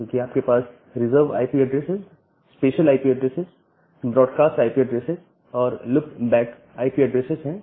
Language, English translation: Hindi, Because you have the reserved IP addresses, you have the special IP addresses, you have this broad cast IP addresses and the loop back IP addresses